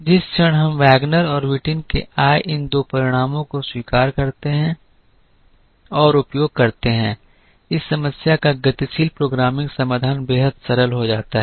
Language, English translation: Hindi, The moment we accept and use these two results that came from Wagner and Whitin, the dynamic programming solution to this problem becomes extremely simple